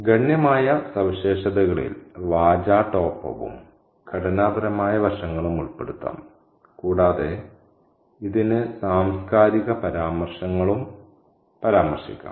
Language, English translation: Malayalam, The significant features can include rhetoric, structural aspects and it can also refer to cultural references